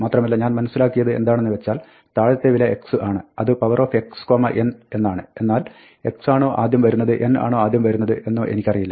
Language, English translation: Malayalam, And I know that, x is the bottom value I know it is x to the power n, but I do not remember whether x comes first, or n comes first